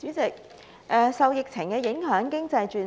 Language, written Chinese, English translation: Cantonese, 代理主席，受疫情影響，經濟轉差。, Deputy President owing to the epidemic the economy is declining